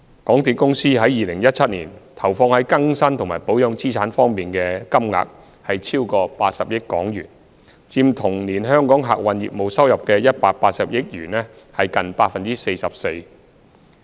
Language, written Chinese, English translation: Cantonese, 港鐵公司於2017年投放在更新及保養資產方面的金額超過80億元，佔同年香港客運業務收入的182億元近 44%。, In 2017 MTRCL has invested over 8 billion in upgrading and maintaining its railway assets which is around 44 % of the total revenue of around 18 billion of Hong Kong transport operations